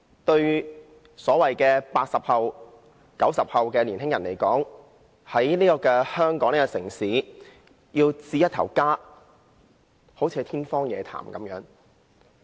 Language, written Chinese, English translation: Cantonese, 對所謂的 "80 後"和 "90 後"的年輕人來說，在香港這個城市要置一個家，好像是天方夜譚。, However it is a wishful thinking for the so - called post - 80s or post - 90s to start a family in this city of Hong Kong